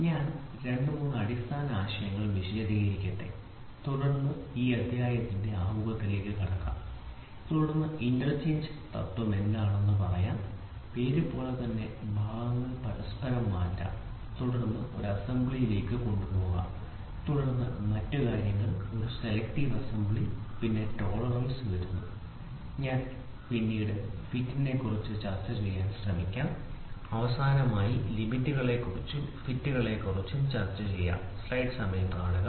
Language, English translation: Malayalam, So, let me explain those basic 2 3 concepts and then get into introduction for this chapter then principle of interchangeability, interchangeability the name itself clearly says I can change, I can interchange parts and then take it to an assembly, then other thing is called a selective assembly then comes tolerance then I will try to discuss about fits, then I will also finally, try to discuss about system of limits and fits